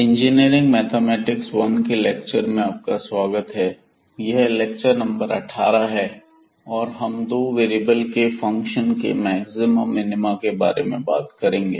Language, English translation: Hindi, So welcome back to the lectures on Engineering Mathematics 1 and this is lecture number 18 will be talking about the Maxima and Minima Functions of two Variables